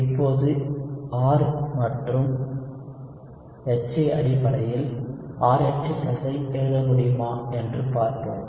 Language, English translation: Tamil, Now, let us see if we can write RH+ in terms of R and HA